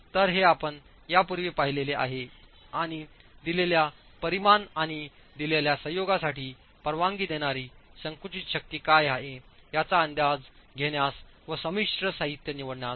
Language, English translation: Marathi, So, this is something we've seen earlier and will help us estimate what is the permissible compressive force for a given dimension and for a given combination of materials of the composite